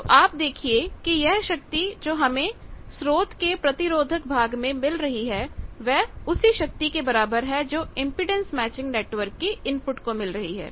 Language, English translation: Hindi, So, you see that this is same as what power is having at the resistive part of the source the same power you can deliver at the input of the impedance matching network